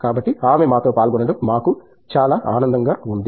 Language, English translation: Telugu, So, we are really glad that she could join us